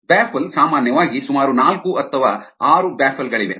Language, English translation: Kannada, typically there are about four or six baffles